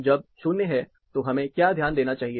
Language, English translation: Hindi, What we need to note, when there is 0